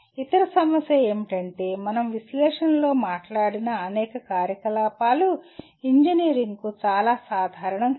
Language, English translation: Telugu, The other issue is many of the activities that we talked about under analyze are not very common to engineering